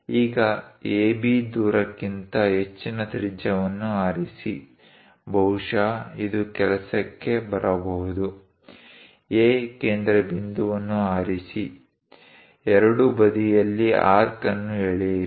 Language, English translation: Kannada, Now, pick a radius greater than AB distance; perhaps this one going to work, pick centre A, draw an arc on both sides